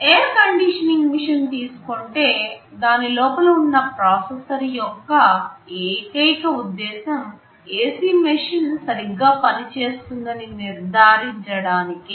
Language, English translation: Telugu, Like an air conditioning machine, there is a processor inside, the sole purpose of that processor is to ensure that the ac machine is working properly, and nothing else